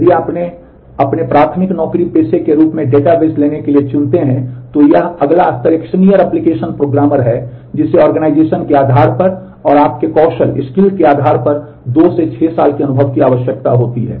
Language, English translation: Hindi, If you if you choose to take up databases as your primary job profession, this next level is a senior application programmer which requires 2 to 6 years of experience depending on the organization and depending on your skills